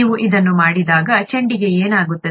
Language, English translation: Kannada, When you do that, what happens to the ball